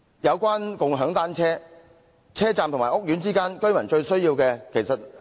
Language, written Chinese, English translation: Cantonese, 有關共享單車，這是在來往車站和屋苑之間，居民最需要的。, As regards bicycle - sharing it is badly needed by residents to commute between stations and housing estates